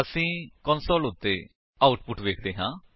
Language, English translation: Punjabi, We see the output on the console